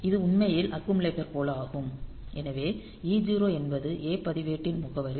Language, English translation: Tamil, So, this is also actually that accumulator also so e 0 is the address of the A register